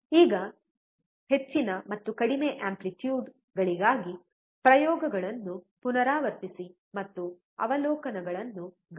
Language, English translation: Kannada, Now repeat the experiments for higher and lower amplitudes, and note down the observations